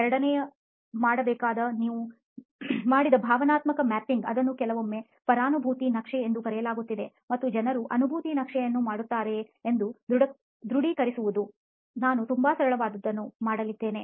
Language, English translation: Kannada, The second thing to do is to confirm whether the emotional mapping that you did, sometimes called the empathy map and people do detail the empathy map, we are going to do a very simple one, this is how we do it